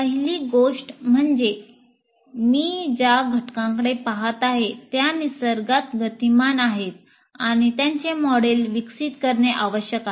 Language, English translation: Marathi, So first thing is the elements that I'm looking at are dynamic in nature and their models are developed